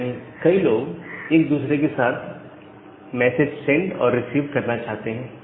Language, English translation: Hindi, So, multiple people they want to send or receive messages to each other